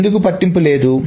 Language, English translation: Telugu, Why does it not matter